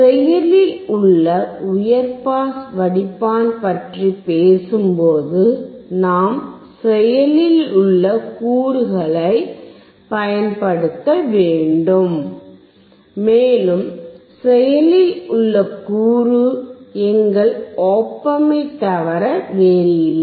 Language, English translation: Tamil, When we talk about active high pass filter, we have to use active component, and active component is nothing but our Op Amp